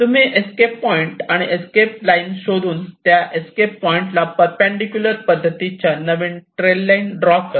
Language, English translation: Marathi, so you try to find out escape point and escape line and you draw the perpendicular lines only at the escape points